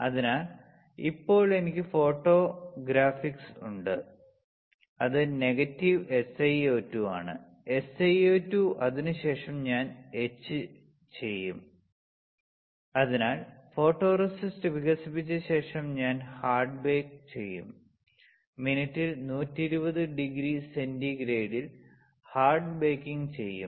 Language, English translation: Malayalam, So, now, I have photoresist which is negative SiO2; silicon, SiO2 after that I will etch; so, after photoresist is developed I will do the hard bake, I will do the hard baking 120 degree centigrade per minute